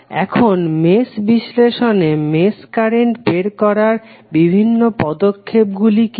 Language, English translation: Bengali, Now, what are the various steps to determine the mesh current in the mesh analysis